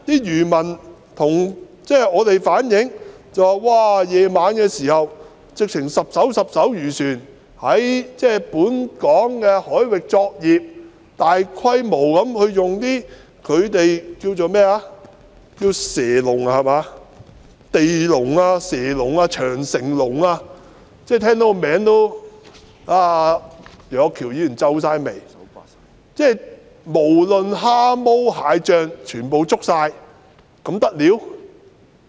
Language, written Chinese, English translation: Cantonese, 漁民向我們反映說，晚上數以十計的漁船在本港海域作業，大規模地使用他們稱為"蛇籠"、"地籠"、"長城籠"的魚網——楊岳橋議員聽到這些名字也皺眉——把蝦毛蟹將全部捉走，這還得了嗎？, According to the fishermen tens of these fishing vessels conduct operations in Hong Kong waters at night and they have extensively used fishing nets which they call serpentine traps ground cages or great wall cages―even Mr Alvin YEUNG has frowned upon hearing these names―to catch shrimps and crabs and everything . Is this not ridiculous?